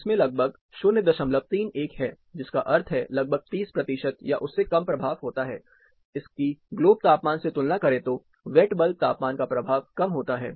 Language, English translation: Hindi, 31, which means around 30 percent or less impact, this will have compare to globe temperature, the impact of wet bulb temperature is lesser